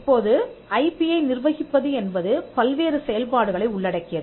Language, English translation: Tamil, Now, this managing IP involves multiple functions